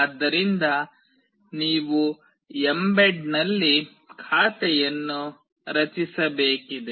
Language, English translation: Kannada, So, you need to create an account in mbed